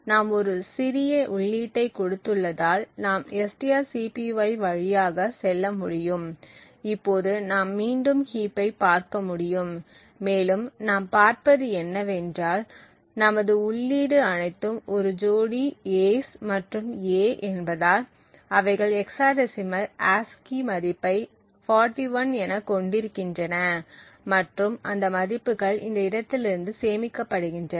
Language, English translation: Tamil, So first of all let us continue to a single step and since we have given a small input we can go through strcpy and we can now look at the heap again and what we see is that since our input is all is a couple of A's and A has ASCII value of 41 in hexadecimal, so those values are actually stored from this location onwards